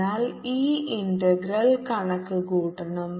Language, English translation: Malayalam, so we have to calculate this integral